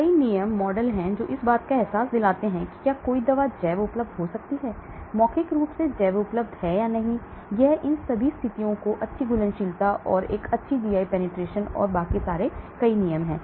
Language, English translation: Hindi, There are many rules, many models, rules which give a feel of whether a drug can be bio available, orally bio available whether it will satisfy all these conditions like good solubility and a good GI penetration and so on